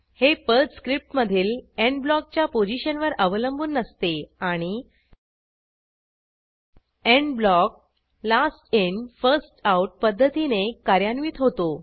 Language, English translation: Marathi, This is irrespective of the location of the END block inside the PERL script and END blocks gets executed in the Last In First Out manner